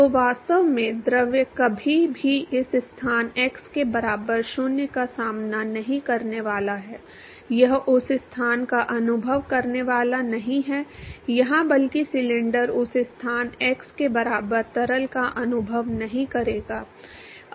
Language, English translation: Hindi, So, really the fluid is never going to encounter this location x equal to 0, it is never going to experience that location or rather the cylinder is never going to experience the fluid at that location x equal to 0